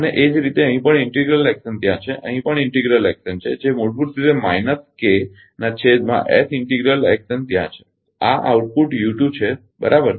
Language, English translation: Gujarati, And, similarly here also integral action is there here also integral action is there that is basically minus K upon is integral action is there and this output is u 2, right